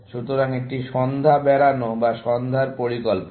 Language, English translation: Bengali, So, one is evening out, or evening plan